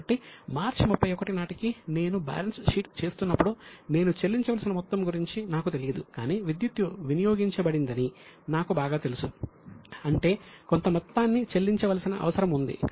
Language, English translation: Telugu, So, as on 31st March, when I am making a balance sheet, I am unaware of the amount which I have to pay, but I am very much aware that electricity has been consumed